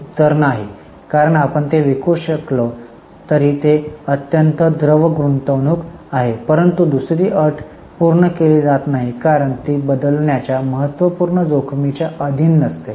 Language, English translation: Marathi, The answer is no because though you can sell it, it is highly liquid investment but the second condition is not fulfilled because it is not subject to insignificant risk of change